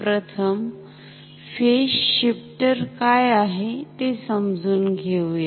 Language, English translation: Marathi, Let us first understand what a phase shifter is ok